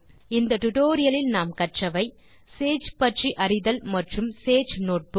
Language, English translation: Tamil, In thus tutorial, we have learnt to, Know about Sage and sage notebook